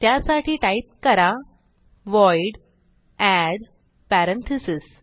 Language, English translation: Marathi, So type void add parentheses